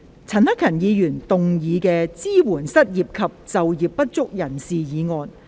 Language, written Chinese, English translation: Cantonese, 陳克勤議員動議的"支援失業及就業不足人士"議案。, Mr CHAN Hak - kan will move a motion on Supporting the unemployed and underemployed